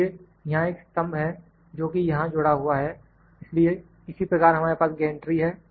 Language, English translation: Hindi, So, this is a column that is attached here so, similarly we have gantry